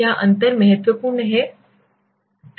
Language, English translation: Hindi, Is the difference significant